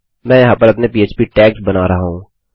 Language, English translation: Hindi, I am creating my PHP tags here